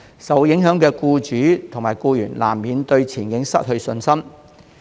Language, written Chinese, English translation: Cantonese, 受影響的僱主及僱員，難免對前景失去信心。, The affected employers and employees will inevitably lose confidence in the prospects